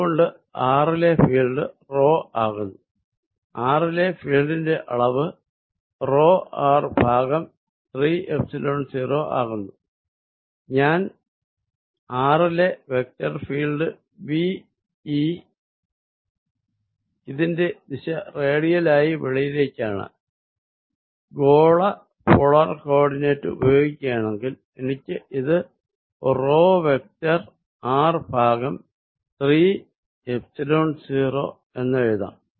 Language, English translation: Malayalam, And therefore, field at r comes out to be rho magnitude of field at r comes out to be rho r over 3 Epsilon 0, if I write the vector field v E at r it is direction is radially out and using this spherical polar coordinates I can write this as rho vector r divided by 3 Epsilon 0 this is the field